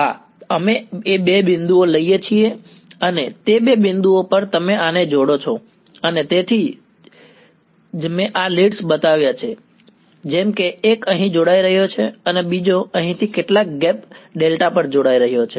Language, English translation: Gujarati, Yeah, we take two points and across those two points you connect this and so, that is why that is I have shown the leads like this one is connecting here the other is connecting over here right across some gap delta